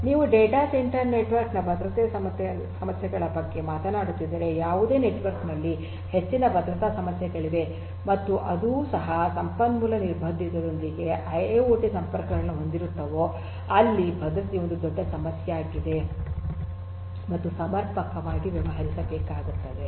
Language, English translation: Kannada, Security issues I do not need to elaborate further security issues are there in any network if you are talking about a data centre network and that too with resource constrain IIoT connections here security is a huge issue and will have to be dealt with adequately